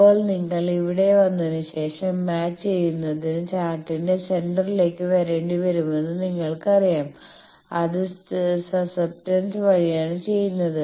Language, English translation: Malayalam, Now, after this you know that after coming here you will have to come to the centre of the chart to match it that is done by the susceptance